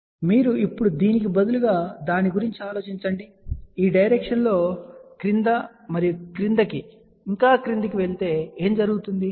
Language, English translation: Telugu, So, you can say that instead of now just just think about it that, if I just go in this direction then down below and down below